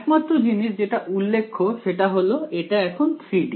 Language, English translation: Bengali, The only thing to note now is that it’s 3 D